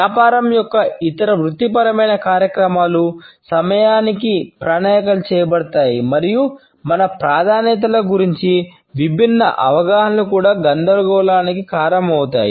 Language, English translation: Telugu, Business and other professional activities are planned within time and diverse understandings about our preferences can also cause confusion